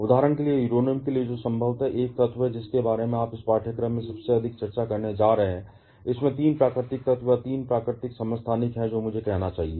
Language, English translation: Hindi, Like, for example, for Uranium which is probably the element that you are going to discuss the most in this course has 3 natural elements or 3 natural isotopes I should say